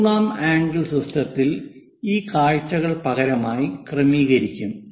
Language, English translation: Malayalam, In the third angle system, these views will be alternatively arranged